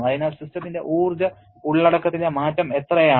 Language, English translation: Malayalam, So, how much is the change in the energy content of the system